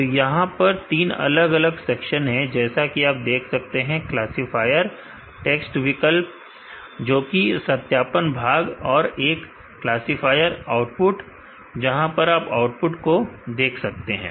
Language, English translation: Hindi, So, there is a three different section here, as you could see classifier text option, which is a validation part and there is a classifier output where you would see the output